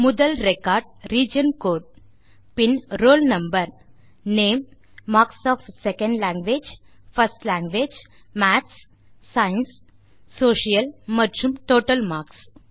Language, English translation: Tamil, The first record is region code, then roll number,name, marks of second language,first language, maths, science and social and total marks